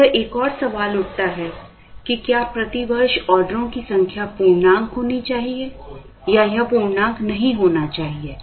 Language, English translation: Hindi, Now, this rises another question, whether the number of orders per year should it be an integer or should it not be an integer